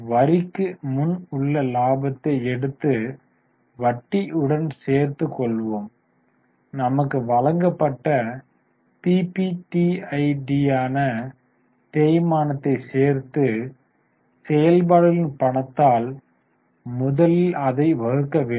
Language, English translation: Tamil, So, let us take profit before tax, add interest, add depreciation, which is our PBDIT, and divide it fast by cash from operations